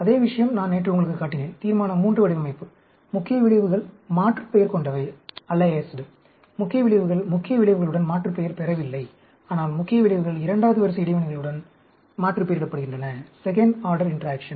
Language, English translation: Tamil, Same thing, I showed you yesterday, Resolution III design; main effects are aliased with theů main effects are not aliased with main effects; but main effects are aliased with second order interactions